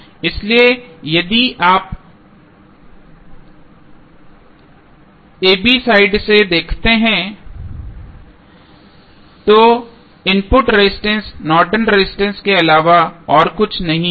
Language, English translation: Hindi, So, if you look from the side a, b the input resistance would be nothing but Norton's resistance